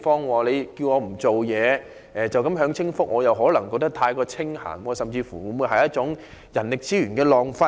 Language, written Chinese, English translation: Cantonese, 如果叫他們不要工作，只享清福，他們可能會感到太清閒，甚至變成一種人力資源的浪費。, If they are asked to not work and only enjoy the comfort and happiness of leisure they may feel they have too much time on hand which may even result in a waste of human resources